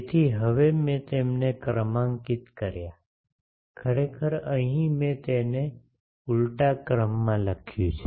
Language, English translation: Gujarati, So I now numbered them, actually here I have written it in the reverse order